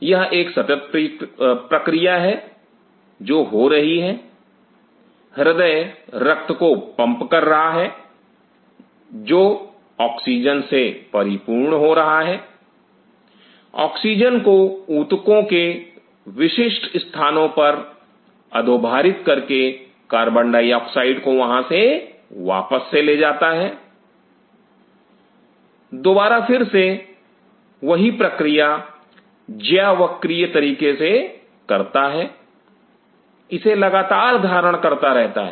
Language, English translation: Hindi, It is a continuous process which is happening, heart is pumping the blood is going loaded with oxygen downloading the oxygen at a specific at all tissues picks up, upload the carbon dioxide comes back again do the same thing in a side sinusoidal manner it is continuously wearing